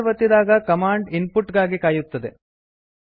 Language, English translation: Kannada, Now when we press enter the command waits for input from the user